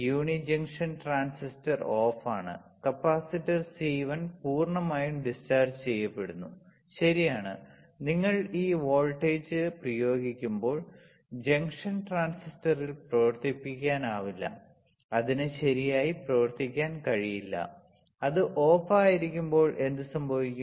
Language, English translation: Malayalam, The uni junction transistor is off and the capacitor C1 is fully discharged, right, when you apply this voltage in junction transistor cannot operate, it cannot operate right and what will happen when it is off